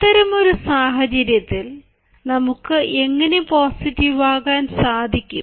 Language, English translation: Malayalam, then, in such a situation, how can we allow ourselves to be positive